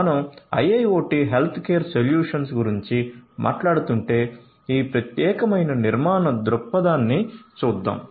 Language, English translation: Telugu, So, if we are talking about IIoT healthcare solutions, let us look at this particular architectural view point